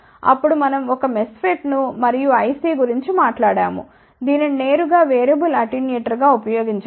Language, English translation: Telugu, Then, we talked about a MESFET and the IC which can be directly used as a variable attenuator